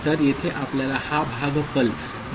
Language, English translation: Marathi, So, here also you get this quotient